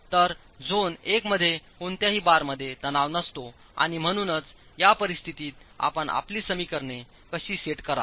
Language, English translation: Marathi, So in zone one, no bars are in tension and therefore in this situation, how do you set up your equations